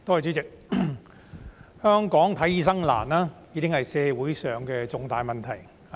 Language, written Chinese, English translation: Cantonese, 代理主席，香港難以求醫，已經是社會上的重大問題。, Deputy President the difficulty in getting medical treatment in Hong Kong has been a major problem in society